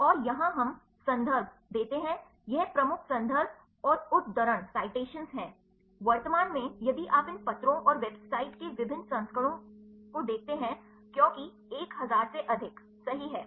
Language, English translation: Hindi, And here we give the references this is the major references and the citations, currently if you look at the different versions of these a papers and website, because more than a 1000 right